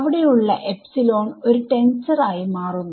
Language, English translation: Malayalam, So, epsilon over there becomes a tensor that